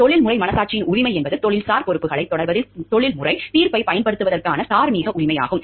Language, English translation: Tamil, The right of professional conscience is the moral right to exercise professional judgment in pursuing professional responsibilities